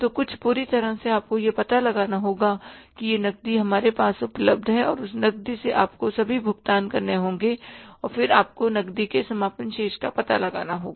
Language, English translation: Hindi, So, some total you have to find out that this much cash is available with us and from that cash you have to make all the payments and then you have to find out the closing balance of the cash